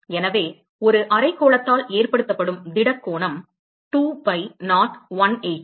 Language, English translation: Tamil, So, the solid angle that is subtended by a hemisphere is 2 pi not 180